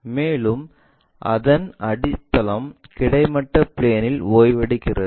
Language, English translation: Tamil, And, base this base is resting on horizontal plane